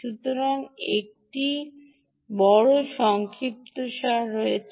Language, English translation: Bengali, so thats the big summary